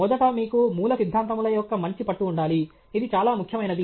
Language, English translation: Telugu, First you should have sound grasp of fundamentals, very, very important